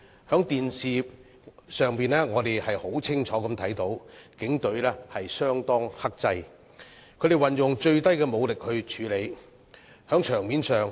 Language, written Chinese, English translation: Cantonese, 在電視畫面中，我們清楚看到警隊相當克制，運用最低武力處理情況。, We saw clearly on television that the Police were rather restrained and handled the situation with minimum force